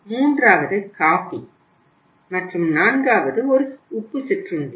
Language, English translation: Tamil, Third was coffee and fourth one was the salted snacks